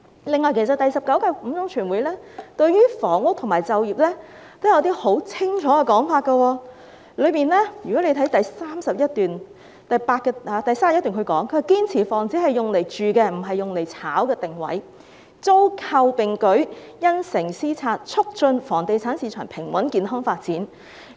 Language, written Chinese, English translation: Cantonese, 此外，其實第十九屆五中全會對房屋和就業也有十分清楚的說法，大家可以看看有關報告的第31段，當中提到："堅持房子是用來住的、不是用來炒的定位，租購並舉、因城施策，促進房地產市場平穩健康發展。, Moreover the Fifth Plenary Session of the 19 Central Committee of the Communist Party of China has explicitly expounded on housing and employment . Members may look at paragraph 31 of the relevant report which reads to this effect We should follow the principle that housing is for people to live in rather than for speculation . We should focus on both renting and purchasing and implement city - specific policies to promote the steady and healthy development of the real estate market